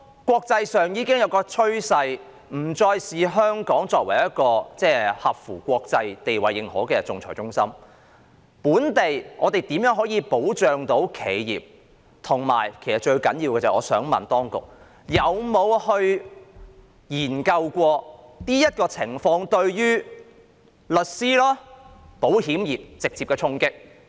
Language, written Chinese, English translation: Cantonese, 國際間已有趨勢不再視香港為一個國際認可的仲裁中心，政府會如何保障企業，以及最重要的是，當局有否研究這情況對律師行業及保險業會否造成直接衝擊？, The world trend is that Hong Kong is no longer considered as an internationally recognized arbitration centre . How will the Government protect the enterprises; and most importantly have the authorities studied whether this situation will have any direct impact on the legal profession and the insurance trade?